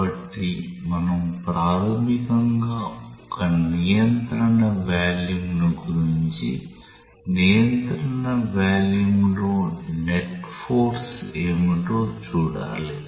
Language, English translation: Telugu, So, we have to basically find out we have to identify a control volume and see what is the net force on the control volume